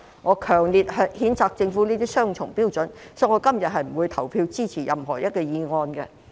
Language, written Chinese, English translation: Cantonese, 我強烈譴責政府持雙重標準，所以我今天不會投票支持議案。, I strongly condemn the Government for holding double standards and will not vote for the motion today